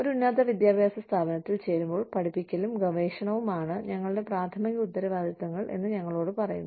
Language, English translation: Malayalam, When we join an institute of higher education, we are told that, our primary responsibilities are, teaching and research